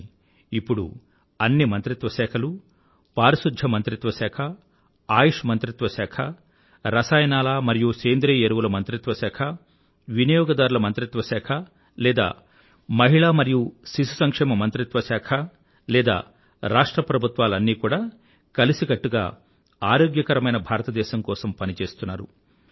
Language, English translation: Telugu, But now, all departments and ministries be it the Sanitation Ministry or Ayush Ministry or Ministry of Chemicals & Fertilizers, Consumer Affairs Ministry or the Women & Child Welfare Ministry or even the State Governments they are all working together for Swasth Bharat and stress is being laid on affordable health alongside preventive health